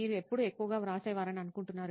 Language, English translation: Telugu, When do you think you write the most